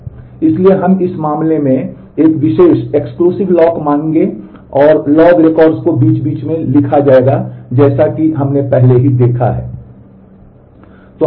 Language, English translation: Hindi, So, we will assume an exclusive lock in this case and log records will be written interspersed as we have already saw